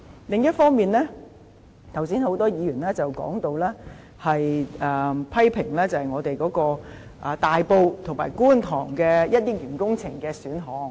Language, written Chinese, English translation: Cantonese, 另一方面，剛才有多位議員批評大埔和觀塘的一些工程項目。, Separately just now a number of Members criticized some of the projects in Tai Po and Kwun Tong